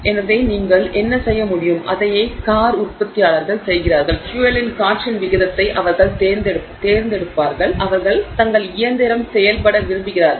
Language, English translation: Tamil, So, what you can do is and which is what the car manufacturers do, they will select the ratio of fuel to air that they would like their engine to operate at